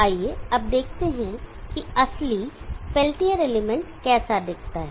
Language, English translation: Hindi, Let us now see how our real peltier element looks like